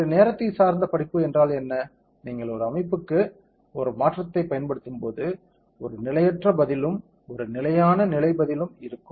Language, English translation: Tamil, What is a time dependent study is, as and when you apply a change to a system, there will be a transient response and a steady state response